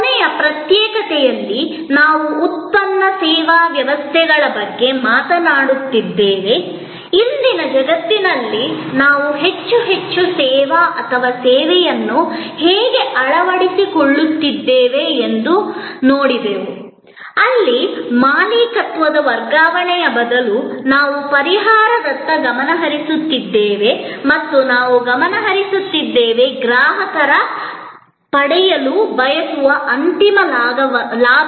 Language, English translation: Kannada, In the last secession, we were talking about product service systems, we looked that how in today’s world we are adopting more and more servicing or servitizing of products, where instead of transfer of ownership, we are focusing on solution and we are loose focusing on the ultimate benefit that the customer wants to derive